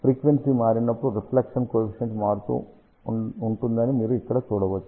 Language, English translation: Telugu, And you can see that as frequency changes reflection coefficient is varying